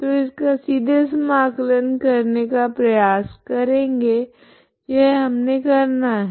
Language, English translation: Hindi, So this will try to integrate directly so this is what we do